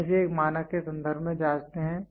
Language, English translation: Hindi, We calibrate it with reference to a standard